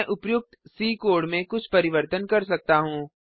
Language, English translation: Hindi, I can make a few changes to the above C code